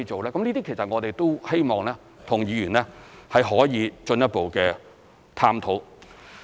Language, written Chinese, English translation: Cantonese, 這些其實我們都希望和議員可以進一步探討。, This is what we would like to further discuss with Members